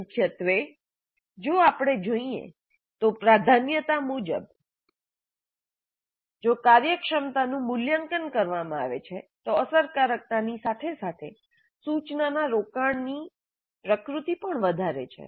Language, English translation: Gujarati, But primarily the priority way if we see efficiency is valued over effectiveness as well as engaging nature of the instruction